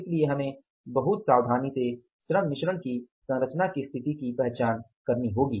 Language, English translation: Hindi, So, we will have to be very carefully decide the labour mix